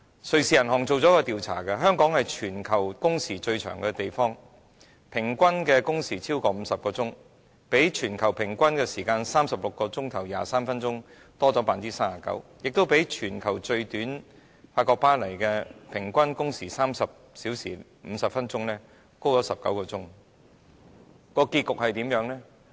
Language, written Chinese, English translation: Cantonese, 瑞士銀行進行了一項調查，發現香港是全球工時最長的地方，平均工時超過50小時，比全球平均時間36小時23分鐘多了 39%， 亦比法國巴黎全球最短的平均工時30小時50分鐘多19小時。, The Swiss Bank conducted a survey and found that Hong Kong with an average of more than 50 hours is the place with the longest working hours in the world 39 % higher than the global average of 36 hours and 23 minutes and 19 hours more than the lowest average of 30 hours and 50 minutes in the world registered by Paris in France